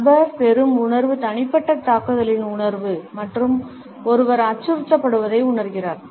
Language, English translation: Tamil, The feeling which the person receives is the feeling of the personal attack and one feels threatened by it